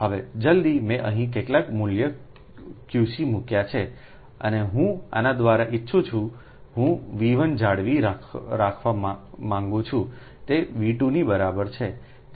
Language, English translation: Gujarati, now, as soon as i put some value qc here, i want, through this i want to maintain v one is equal to v two